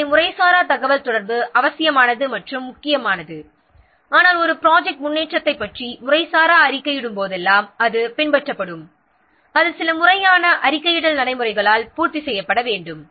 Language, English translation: Tamil, So informal communication is also necessary and important, but whenever any such informal reporting of project progress, it is followed, it must be complemented by some formal reporting procedures